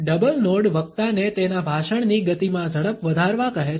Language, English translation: Gujarati, A double nod tells the speaker to increase the speed in tempo of this speech